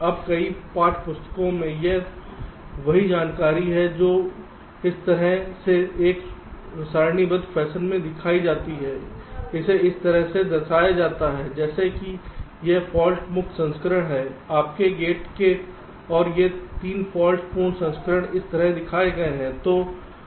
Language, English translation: Hindi, ok, now, in many text books, this same information, which is shown in a tabular fashion like this, it is represented like this: as if this is the fault free version of your gate, and these are the three faulty versions, is shown like this